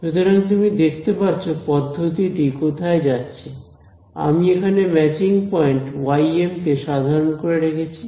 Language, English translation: Bengali, So, you can see where this process is going right here I have kept the matching point ym is kept general